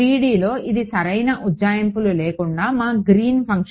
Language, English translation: Telugu, In 3D this was our greens function with no approximations right